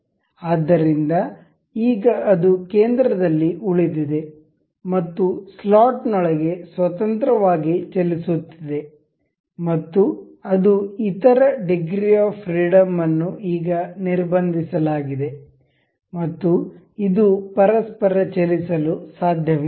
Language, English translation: Kannada, So, now, it remains in the center and it is free to move within the slot and it the other degrees of freedom have now been constrained and it this cannot move to each other